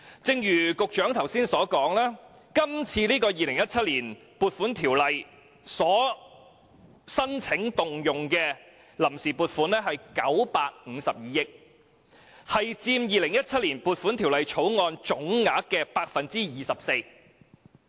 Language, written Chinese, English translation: Cantonese, 正如局長剛才所說，根據《2017年撥款條例》申請動用的臨時撥款是952億元，佔《2017年撥款條例草案》下撥款總額的 24%。, As the Secretary said just now the funds on account sought under the Appropriation Ordinance 2017 is 95.2 billion representing about 24 % of the total appropriation under the Appropriation Bill 2017